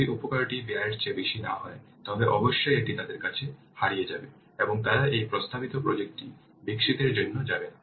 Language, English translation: Bengali, If the benefit will not outweigh the cost, then definitely it will be lost to them and they will not go for developing this proposed project